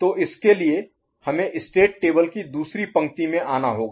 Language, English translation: Hindi, So for that we have to come to the second row of the state table